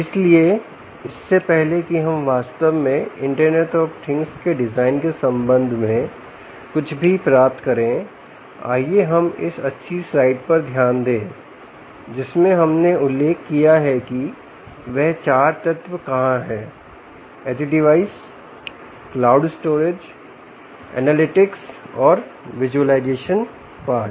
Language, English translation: Hindi, ok, so before we actually get into anything with respect to the design of design for the internet of things, ah, let us just focus on this nice slide that we mentioned, where there are four elements: the edge device, the cloud storage and analytics, analytics and the visualisation part